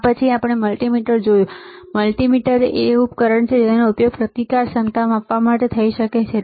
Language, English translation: Gujarati, Then we have seen multimeter; multimeter is a device that can be used to measure resistance, capacitance, right